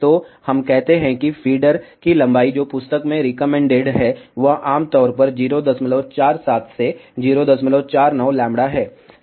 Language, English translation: Hindi, So, let us say feeder length, what is recommended in the book is typically 0